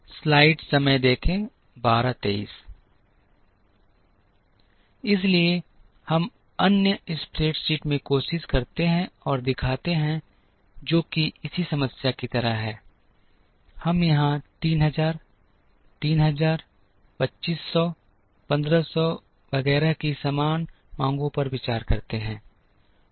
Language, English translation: Hindi, So, that we try and show in the other spreadsheet, which is like this same problem, we consider here the same demands of 3000, 3000, 2500, 1500 etcetera